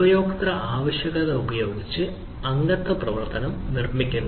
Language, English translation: Malayalam, membership function are build using user requirement